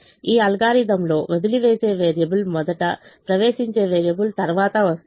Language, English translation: Telugu, in this algorithm the leaving variable is first, the entering variable comes later